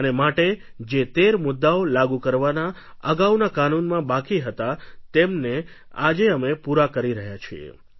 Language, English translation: Gujarati, And hence the task of implementing the 13 points which was left incomplete in the earlier act is being accomplished today